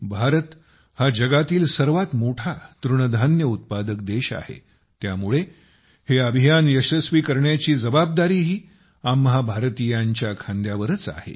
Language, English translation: Marathi, India is the largest producer of Millets in the world; hence the responsibility of making this initiative a success also rests on the shoulders of us Indians